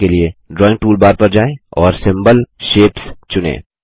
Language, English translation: Hindi, To do this, go to the drawing toolbar and select the Symbol Shapes